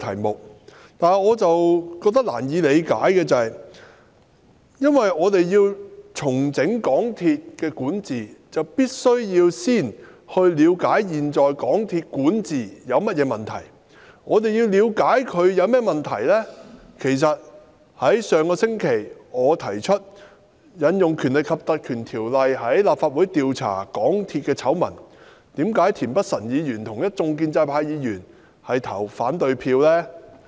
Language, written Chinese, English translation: Cantonese, 然而，我覺得難以理解的是，我們要重整香港鐵路有限公司管治，便必須先了解現時港鐵公司管治有甚麼問題；而要了解港鐵公司管治有甚麼問題，可從我在上星期提出引用《立法會條例》調查港鐵醜聞得知，為何田北辰議員及一眾建制派議員卻投下反對票呢？, However I find the situation incomprehensible because in order to restructure the governance of MTR Corporation Limited MTRCL we must first understand the problems with the existing governance of MTRCL and in order to understand the problems with the governance of MTRCL we could have found out the truth by investigating into the scandals of MTRCL through invoking the Legislative Council Ordinance as I proposed last week . But why did Mr Michael TIEN and those Members from the pro - establishment camp cast their votes of opposition?